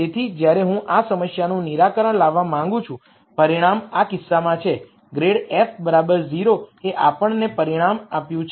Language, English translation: Gujarati, So, when I want to solve for this problem the result is in this case grad f equal to 0 itself gave us the result